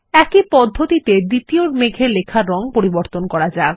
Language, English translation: Bengali, In the same manner, lets change the text color of the second cloud